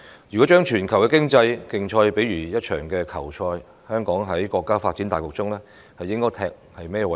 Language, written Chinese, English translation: Cantonese, 如果將全球的經濟競賽比喻為一場球賽，香港在國家發展大局中，應該負責甚麼位置？, If we liken global economic competition to a ball game what part should Hong Kong play in the countrys overall scheme of development?